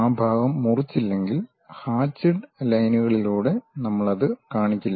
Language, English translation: Malayalam, If that part is not cut by the plane, we will not show it by hatched lines